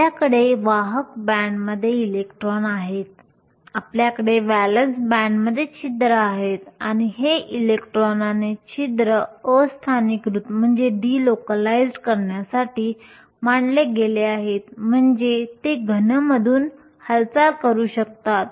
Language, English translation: Marathi, We have electrons in the conduction band, we have holes in the valence band and these electrons and holes are set to be delocalized that is they can move through the solid